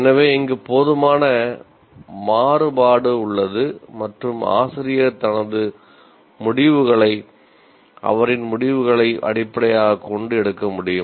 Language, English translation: Tamil, So there is enough variation possible here and the teacher can make his or her decisions based on the nature of the subject